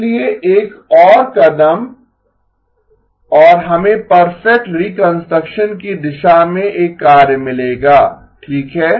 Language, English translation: Hindi, So one more step and we will get a work towards the perfect reconstruction okay